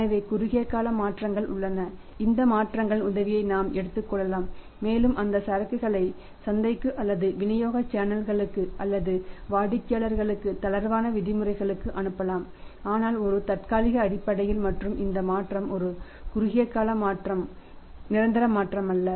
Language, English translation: Tamil, So, short time changes are there and we can say take the help of these changes and we can pass on that inventory to the market or to the channels of distribution or to the customers on their relaxed terms but on a temporary basis and its communicated to the buyers also to the standard customers also that this change is a short time change not a permanent change